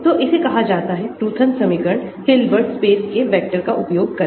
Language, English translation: Hindi, so that is called the Roothan equation using basis vectors of Hilbert space